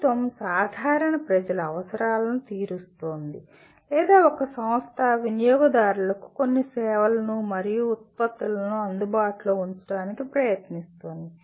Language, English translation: Telugu, Either government is meeting the general public’s requirement or a company is trying to make certain services and products available to customers